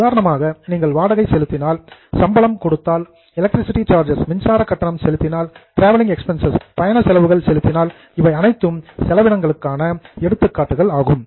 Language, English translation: Tamil, For example if you pay salary, if you pay rent, if you pay electricity charges, if you pay traveling expenses, all these are examples of expenses